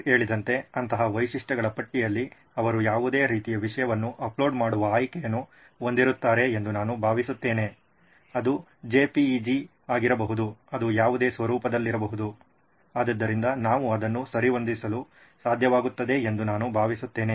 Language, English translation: Kannada, I think in the list of features like sir mentioned they would have the option to upload any kind of content, it could be JPEG, it could be in any format, so I think we should be able to accommodate that